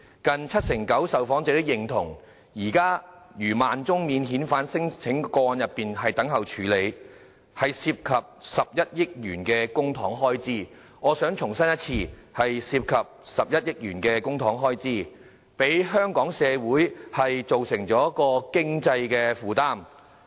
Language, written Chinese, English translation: Cantonese, 近七成九受訪者認同，現時逾1萬宗免遣返聲請個案等候處理，涉及11億元公帑的開支——我想重申，是涉及11億元公帑的開支——對香港社會造成經濟負擔。, Nearly 79 % of the respondents agreed that the backlog of over 10 000 cases on non - refoulement claims which involved an expenditure of 1.1 billion of public money―I want to emphasize that an expenditure of 1.1 billion of public money is involved―would add to the economic burden of Hong Kong society